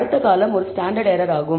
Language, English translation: Tamil, The next column is standard error